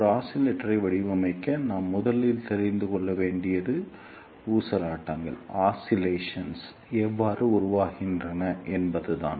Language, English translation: Tamil, And to design a oscillator, the first thing which we need to know is how oscillations are generated